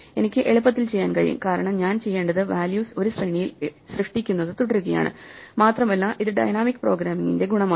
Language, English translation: Malayalam, I can do it on the fly more or less, because all I have to do is keep generating the values in a sequence, and this is the virtue of dynamic programming